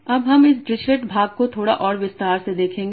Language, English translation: Hindi, Now we will look at this distilet part in a bit more in bit more detail